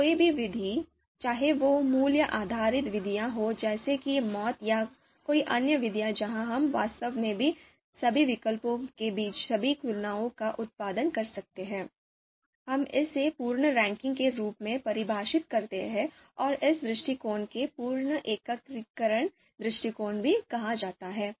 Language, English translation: Hindi, So any method, so whether it is a value based methods like MAUT or you know any other method method where we can actually produce you know all the comparisons comparisons among all the alternatives, we define it we define it as a complete ranking and this approach is referred as full aggregation approach